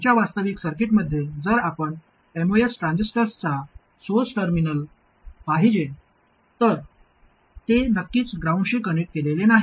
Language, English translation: Marathi, If you look at the source terminal of the most transistor in our actual circuit, it is certainly not connected to ground